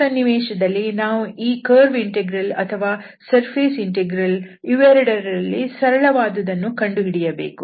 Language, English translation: Kannada, So we can easily compute this curve integral and the surface integral seems to be difficult